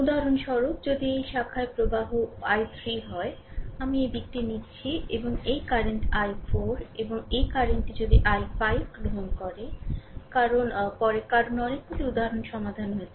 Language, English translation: Bengali, For example suppose if this branch current is i 3 see I am taking in this direction, and this current say i 4 right and this this current say if we take i 5 for example, right because later because so, many examples we have solved